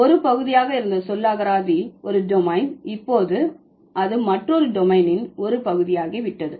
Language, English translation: Tamil, A vocabulary, it used to be a part of one domain and now it has become a part of the other domain